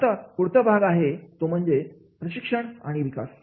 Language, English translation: Marathi, Now, the next part comes that is the training and development